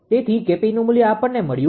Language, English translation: Gujarati, So, K p value we got